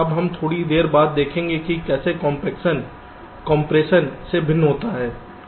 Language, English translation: Hindi, now we shall see a little later how compaction is different from compression